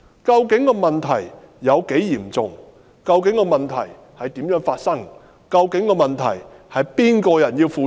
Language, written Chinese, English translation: Cantonese, 究竟問題有多嚴重；究竟問題是如何發生的；究竟問題該由誰負責？, How serious is the problem? . How did it happen? . Who should be held accountable?